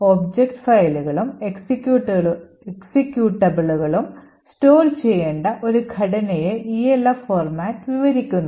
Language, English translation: Malayalam, Elf format describes a structure by which object files and executables need to be stored